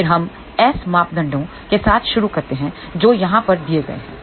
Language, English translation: Hindi, Again, we start with the S parameters which are given over here